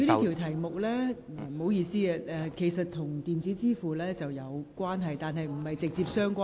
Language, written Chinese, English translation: Cantonese, 局長，這項口項質詢與電子支付有關，但並非直接相關。, Secretary this oral question is related to but not directly related to electronic payment